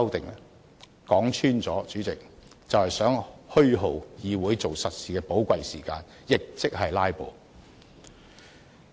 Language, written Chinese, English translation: Cantonese, 主席，說穿了，他們就是想虛耗議會做實事的寶貴時間，亦即是"拉布"。, President to put it bluntly these Members want to waste the valuable time of the Legislative Council which should be used to do real work in other words they are filibustering